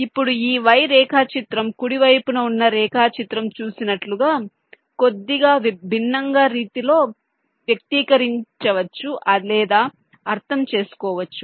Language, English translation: Telugu, now this y diagram can also be expressed or interpreted in a slightly different way, as the diagram on the right shows